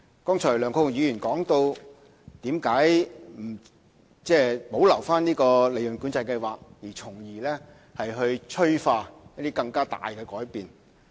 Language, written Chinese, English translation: Cantonese, 梁國雄議員剛才質疑為何不保留計劃，從而催化一些更大的改變。, Just now Mr LEUNG Kwok - hung questioned why PCS should not be retained as a means of fostering greater changes